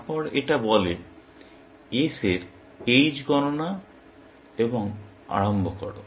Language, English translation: Bengali, Then, it says compute h of s and initialize